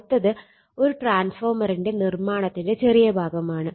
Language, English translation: Malayalam, Next is the little bit of construction of the transformer